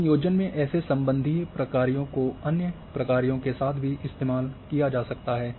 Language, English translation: Hindi, So,likewise such relational functions in combinations can also be used with other functions